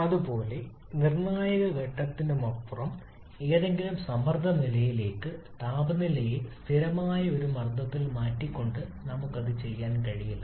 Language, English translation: Malayalam, Similarly, for any pressure level beyond the critical point we cannot do it by simply changing the temperature at a constant pressure